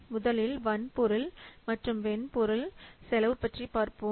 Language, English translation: Tamil, So those costs, this is the hardware and software cost